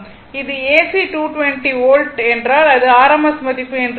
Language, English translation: Tamil, If it is AC 220, means it is rms value